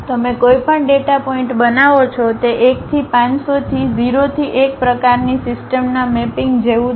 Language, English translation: Gujarati, You construct any data point it is more like a mapping from 1 to 500 to 0 to 1 kind of system